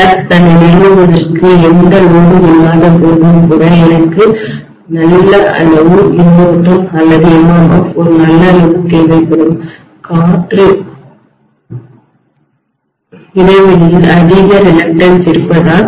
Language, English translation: Tamil, Even when I do not have any load to establish the flux itself I will require quite a good amount of current or quite a good amount of MMF, so because of high reluctance of the air gap right